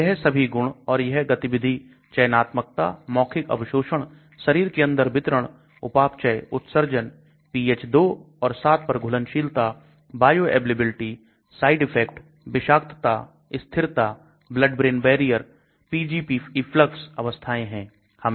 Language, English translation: Hindi, So all these features and these are the activity, selectivity, oral absorption, distribution inside the body, metabolism, excretion, solubility at pH2 and 7, bioavailability, side effects, toxicity, stability, blood brain barrier, Pgp efflux, forms